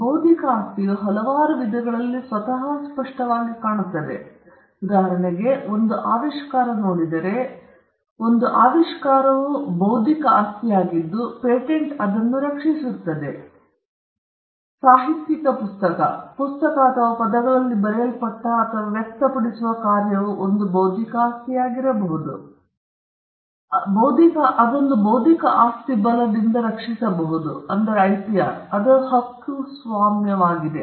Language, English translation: Kannada, Intellectual property manifests itself in various forms; for instance, if you look at, if you look at, invention, an invention is an intellectual property which can be protected by a patent, which is an intellectual property right; a literary work, a book or the work that is written or expressed in words could be an intellectual property, which can be protected by an intellectual property right that is copyright